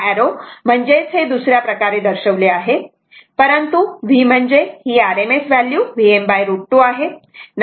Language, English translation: Marathi, Arrow means different way it can be represented, but putting arrow v arrow is equal to rms value is V m by root 2, right